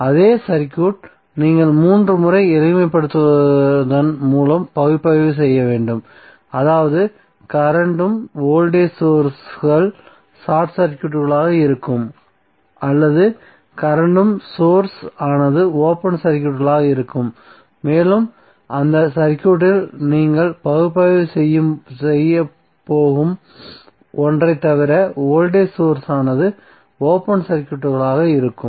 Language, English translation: Tamil, So it means that the same circuit you have to analyze 3 times by making them simpler, simpler means the current voltage sources would be either short circuited or current source would be open circuited and voltage source would be open circuited except 1 which you are going to analyze in that circuit